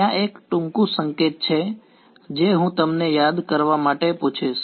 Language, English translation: Gujarati, There is one short hand notation which I will ask you to recall